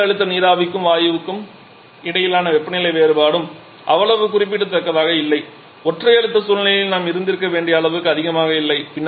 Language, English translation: Tamil, The temperature difference between low pressure steam and the gas was also not that significant not that high as we should have had in a single pressure situation